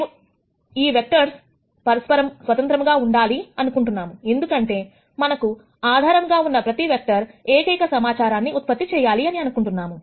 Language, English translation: Telugu, We want these vectors to be independent of each other, because we want every vector, that is in the basis to generate unique information